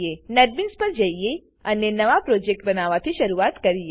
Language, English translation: Gujarati, Lets now move to netbeans and start by creating a new project